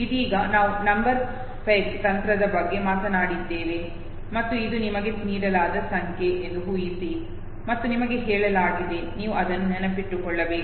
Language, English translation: Kannada, Right now, we are talking about number peg technique and imagine that this is the number that is given to you and you are told it, you have to memorize it